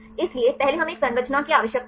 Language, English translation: Hindi, So, first we need a structure